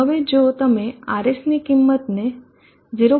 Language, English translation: Gujarati, 1 then we would like to alter RS to 0